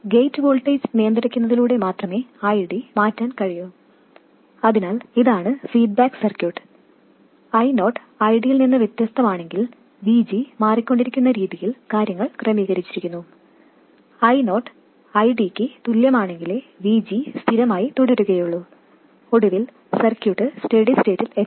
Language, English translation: Malayalam, So this is a feedback circuit in which things are arranged in such a way that VG will go on changing if I 0 is different from ID and VG will remain constant only if I 0 equals ID and the circuit will finally reach that steady state